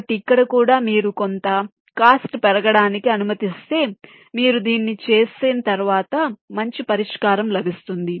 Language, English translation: Telugu, so here, also allowing some increase in cost, with the expectation that if you do this may be later on you will get a better solution